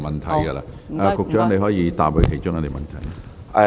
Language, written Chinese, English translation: Cantonese, 局長，你可以回答其中一項。, Secretary you may answer one of them